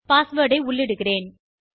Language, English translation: Tamil, Let me enter the password